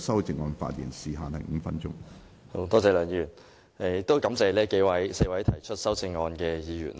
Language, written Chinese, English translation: Cantonese, 多謝梁議員，我亦感謝4位提出修正案的議員。, Thank you Mr LEUNG . I also thank the four Members for proposing the amendments